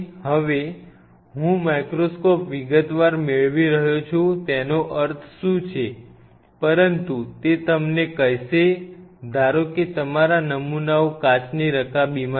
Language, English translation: Gujarati, I am now getting the microscope detail what does that mean, but that is the one which will tell you that suppose your samples are in a glass dish